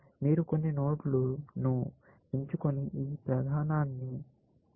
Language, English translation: Telugu, You pick some node and do this process, essentially